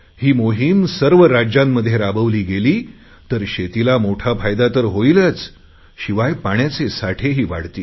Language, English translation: Marathi, If this campaign gets underway in all the states, then not only will it benefit cultivation, but more water will also be conserved